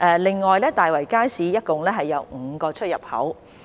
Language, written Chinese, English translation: Cantonese, 另外，大圍街市共有5個出入口。, In addition there are five entrances in the Market in total